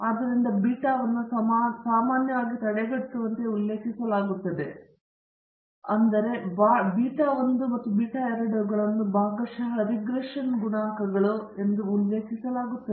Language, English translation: Kannada, So, beta naught is referred to commonly as the intercept, whereas the beta 1 and beta 2 are referred to here as the partial regression coefficients